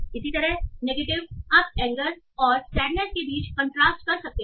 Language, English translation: Hindi, Similarly negative you can take the contrast between anger and sadness